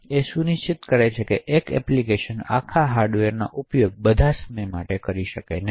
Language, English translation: Gujarati, So, it will ensure that one application does not utilise the entire hardware all the time